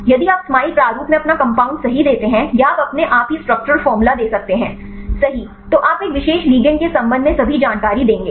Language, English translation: Hindi, If you give your a compound right in smile format or you can give you the structure formula right automatically you will give all the a information regarding a particular a ligand right